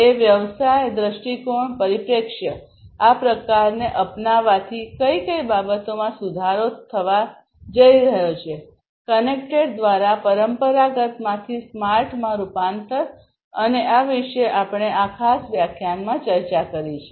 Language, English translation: Gujarati, From a business perspective; what are the, what are the things that are going to be improved through this kind of adoption, transformation from the traditional to the smarter ones through a connected one, and so on, and this is what we have discussed in this particular lecture